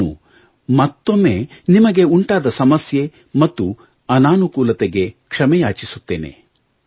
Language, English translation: Kannada, Once again, I apologize for any inconvenience, any hardship caused to you